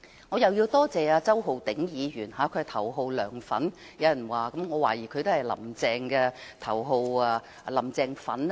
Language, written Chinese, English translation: Cantonese, 我也要多謝周浩鼎議員，有人說他是頭號"梁粉"，我懷疑他也是頭號"林鄭粉"。, I have to thank Mr Holden CHOW too . Some people say that he is the number one fan of LEUNG Chun - ying and I suspect he is also the number one fan of Carrie LAM